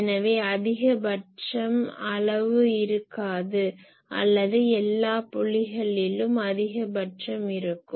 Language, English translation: Tamil, So, actually there is no maximum or all points are maximum